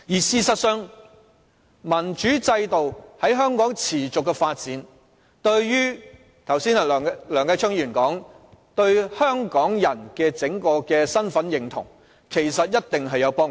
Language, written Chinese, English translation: Cantonese, 事實上，民主制度在香港持續發展，正如梁繼昌議員剛才說，這其實對整體香港人的身份認同一定有幫助。, In fact the continuous development of a democratic system in Hong Kong is as Mr Kenneth LEUNG has mentioned just now conducive to establishing the identity of Hong Kong people